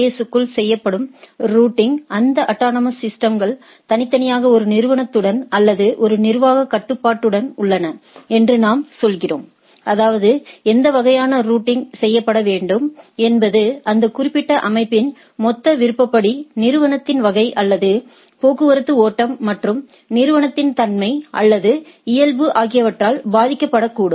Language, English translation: Tamil, So, one is within the AS; that means, the routing which will be done within the AS, as we are saying these are these autonomous systems individually are with one organization or one administrative control; that means, what sort of routing has to be done is based on that the total discretion of that particular organization which may be influenced by the type of organization or type of traffic flow it is having and a nature of the organizations, or nature of the network they want to envisage and type of things